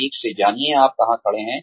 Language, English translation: Hindi, Know exactly, where you stand